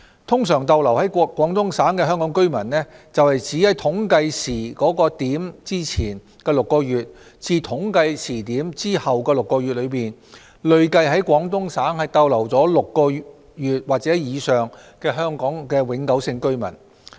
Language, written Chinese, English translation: Cantonese, "通常逗留在廣東省的香港居民"是指在統計時點前的6個月至統計時點後的6個月內，累計在廣東省逗留6個月及以上的香港永久性居民。, These residents refer to Hong Kong permanent residents who have stayed in the Guangdong Province for six months and above cumulatively during the six months before and after the reference time - point